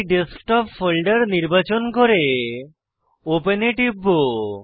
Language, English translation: Bengali, I will choose Desktop folder and click on open